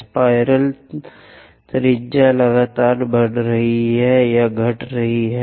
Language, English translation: Hindi, In spirals, the radius is continuously increasing or decreasing